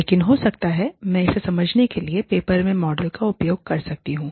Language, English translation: Hindi, But, maybe, i can use the model in the paper, to explain it